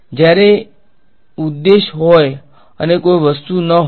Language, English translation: Gujarati, When there is objective or there no object